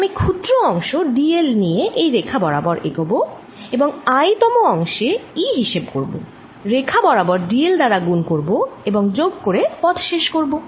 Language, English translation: Bengali, i'll move along the line, taking small segments, delta l, and calculate e on i'th segment, multiply by delta l along the lines and add it and make this path closed